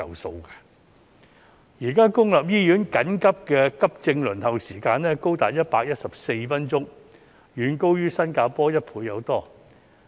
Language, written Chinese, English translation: Cantonese, 現時公立醫院緊急急症服務平均輪候時間高達114分鐘，遠高於新加坡1倍有多。, At present the average waiting time for accident and emergency services in public hospitals is 114 minutes more than double than that in Singapore